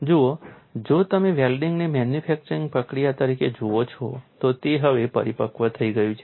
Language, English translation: Gujarati, See, if you look at welding as a manufacturing process, it has matured now